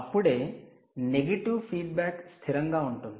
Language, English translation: Telugu, only then the negative feedback will be stable